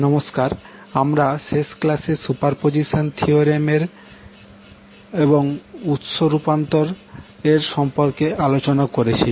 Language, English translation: Bengali, Namaskar, so in the last class we discussed about Superposition Theorem and the source transformation